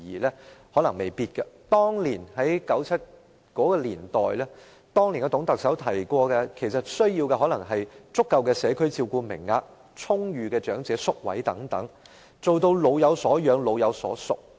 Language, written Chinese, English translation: Cantonese, 在董建華的年代，當時的需要可能只是足夠的社區照顧名額、充裕的長者宿位等，做到"老有所養、老有所屬"。, During the era of TUNG Chee - hwa the needs at the time may be met solely by the provision of adequate community care places an ample supply of residential care places for the elderly and so on with the objectives of achieving a sense of security and a sense of belonging among the elderly